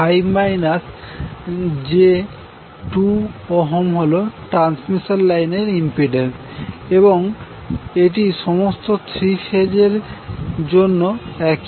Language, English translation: Bengali, 5 minus j2 ohm is the impedance of the transmission line and it is the same in all the three phases